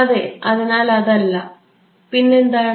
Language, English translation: Malayalam, Yeah no so, what